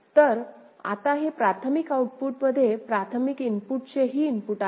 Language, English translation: Marathi, So, this one, the primary outputs now is having input also from primary input ok